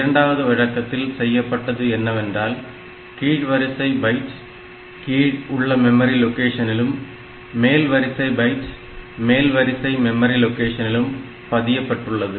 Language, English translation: Tamil, So, in this case in the second case what has happened is that this lower order byte it has been saved in the lower order memory location and this higher order byte it has been saved in the higher order memory location